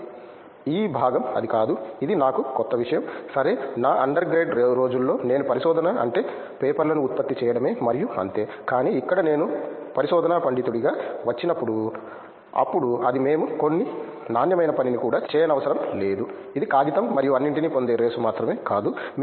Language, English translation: Telugu, So, that this part it was not, which was something new to me that OK, in my under grade days I was like ok research means just to produce papers and that’s all, but over here when I came to became a research scholar, then it was like no we have to get some quality work also done, it’s not just the race of getting paper and all